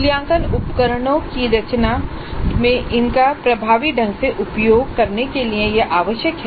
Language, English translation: Hindi, This is necessary in order to use the items effectively in composing an assessment instrument